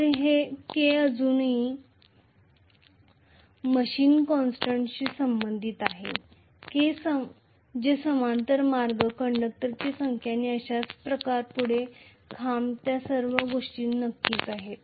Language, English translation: Marathi, So that K still related to the machine constants which are like parallel paths, number of conductors and so on and so forth, poles, all those things definitely